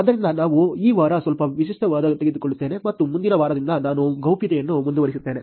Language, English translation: Kannada, So, we will actually take little bit of a content this week and I will continue on privacy starting next week also